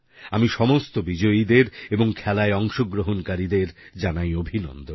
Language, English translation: Bengali, I along with all the winners, congratulate all the participants